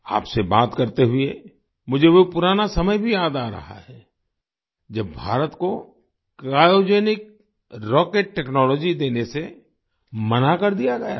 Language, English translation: Hindi, While talking to you, I also remember those old days, when India was denied the Cryogenic Rocket Technology